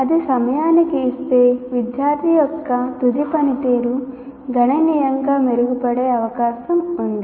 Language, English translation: Telugu, If that is given, the final performance of the student is likely to improve significantly